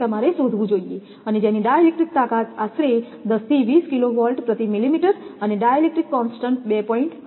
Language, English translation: Gujarati, You should find out and as a di electric strength of about 10 to 20 kilovolt per millimeter and a di electric constant is about 2